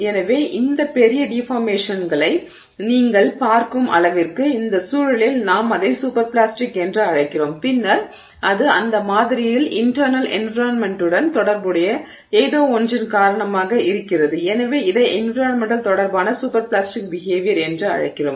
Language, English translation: Tamil, So, that is sort of, you know, to the extent that you see these large deformations we call it super plastic in this context and then it is because of something that is associated with the internal environment of that sample and so we just call it environmental related super plastic behavior